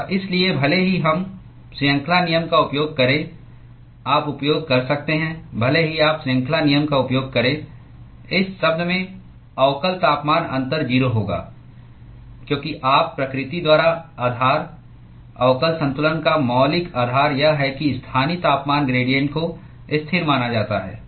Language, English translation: Hindi, And therefore, even if we use chain rule you could use even if you use chain rule, in this term, the differential temperature difference will be 0, because you by nature of the the basis the fundamental premise of differential balance is that the local temperature gradient is assumed to be constant